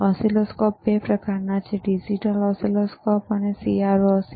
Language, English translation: Gujarati, Oscilloscopes are of 2 types: one is digital oscilloscope,